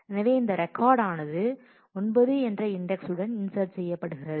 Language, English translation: Tamil, So, insert of, so you had insert of this record with index 9